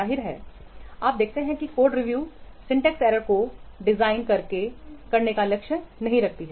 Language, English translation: Hindi, Obviously you will see that code review does not target to design the syntax errors